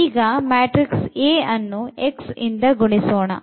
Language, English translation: Kannada, So, if you multiply this A and this x